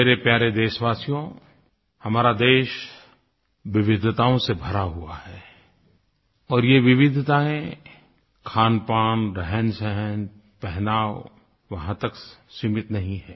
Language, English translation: Hindi, My dear countrymen, our country is a land of diversities these diversities are not limited to our cuisine, life style and attire